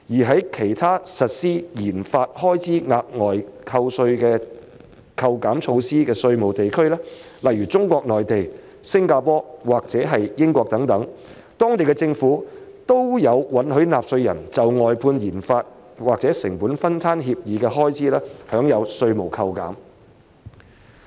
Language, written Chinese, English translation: Cantonese, 在其他實施研發開支額外扣稅措施的稅務地區，例如中國內地、新加坡和英國，當地政府都有允許納稅人就外判研發或成本分攤協議的開支，享有稅務扣減。, In other tax jurisdictions where enhanced tax deduction for RD expenditure is implemented such as the Mainland of China Singapore and the United Kingdom the governments there grant tax deductions to taxpayers for expenditures on contracted - out RD or cost - sharing agreements